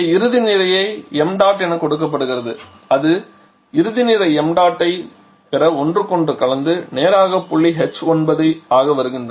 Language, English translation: Tamil, They are giving the final mass m dot they are mixing with each other to get the final mass m dot and coming a straight point h 9